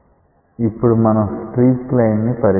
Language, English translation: Telugu, Let us consider the streak line